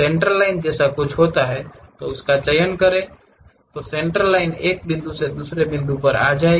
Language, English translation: Hindi, There is something like a Centerline, pick that Centerline draw from one point to other point